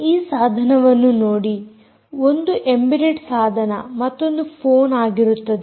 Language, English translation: Kannada, one is an embedded device, the other is a phone